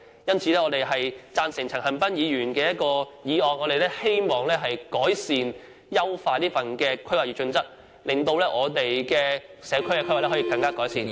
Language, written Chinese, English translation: Cantonese, 因此，我們贊成陳恒鑌議員的議案，希望改善和優化《規劃標準》，令我們的社區規劃......, For this reason we support Mr CHAN Han - pans motion with the hope of improving and perfecting HKPSG so that our community planning will be improved